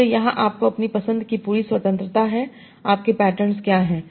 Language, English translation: Hindi, So here you have complete freedom of choosing what are your patterns